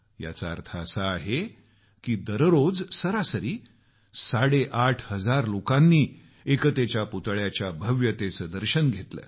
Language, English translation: Marathi, This means that an average of eight and a half thousand people witnessed the grandeur of the 'Statue of Unity' every day